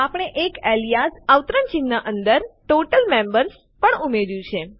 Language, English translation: Gujarati, Also we have added an Alias Total Members